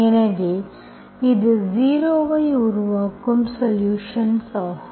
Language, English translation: Tamil, So this is the solution of this that makes it 0